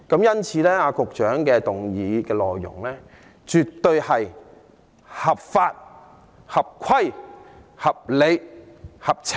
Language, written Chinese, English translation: Cantonese, 因此，局長的議案內容絕對是合法、合規、合理、合情。, Therefore the Secretarys motion is absolutely lawful in order reasonable and sensible